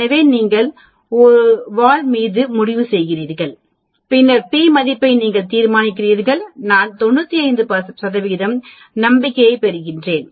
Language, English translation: Tamil, So you decide on the tail, then you decide on the p value am I looking a 95 percent confidence interval or I am looking at 99 percent confidence interval